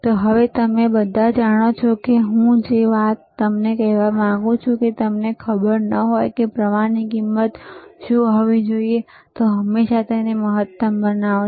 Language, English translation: Gujarati, So now, you all know so, one thing that I want to tell you is, if you iif you do not know what should be the current knob value should be, always make it maximum